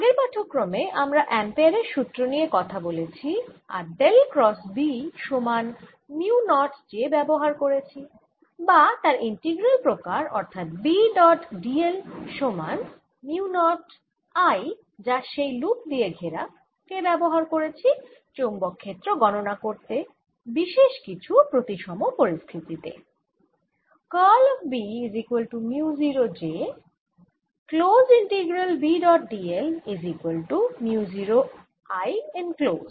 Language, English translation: Bengali, in the previous lecture we talked about a integral form of ampere's law and used dell cross, b equals mu, not j, or its integral form which was b, dot, d, l is equal to mu, not i, enclosed by that loop, to calculate magnetic field in certain symmetry situations